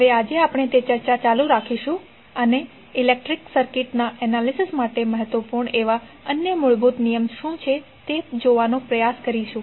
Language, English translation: Gujarati, Now today we will continue our that discussion and try to see what are other basic laws which are important for the analysis of electrical circuit